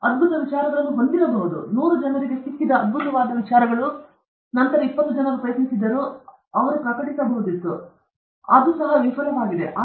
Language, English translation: Kannada, You may have brilliant ideas; that brilliant ideas hundred people would have got, and then twenty people would have tried, and they might have even published, and it would have also been a failure